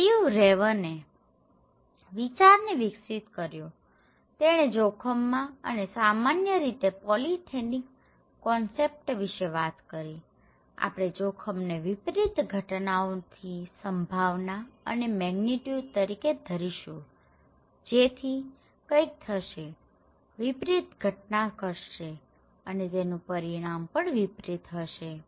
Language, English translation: Gujarati, This idea was then little further developed by Steve Rayner, he was talking about polythetic concept of risk and that in generally, we consider risk is the probability of an adverse event and the magnitude of his consequence right, something will happen, an adverse event will happen and it has some consequences